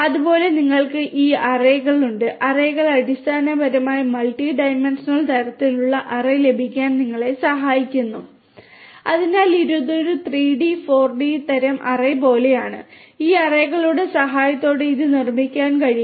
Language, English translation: Malayalam, Then you have this arrays, arrays basically help you to get the multi dimensional; multi dimensional kind of array so it is like a 3D, 4D kind of array it can be built with the help of this arrays